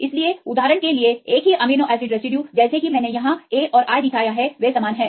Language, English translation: Hindi, So, same amino acid residue for example, as I showed here this A and I, they are same